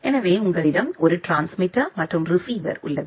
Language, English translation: Tamil, So, you have a transmitter and a receiver